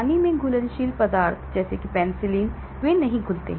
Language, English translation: Hindi, Water soluble substances such as penicillin, they do not